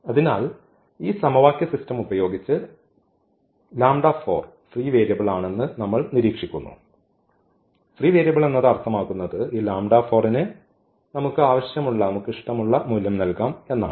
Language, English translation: Malayalam, So, with these system of equations what we observe that lambda 4 is free variable; is free variable and meaning that we can assign whatever value we want to this lambda 4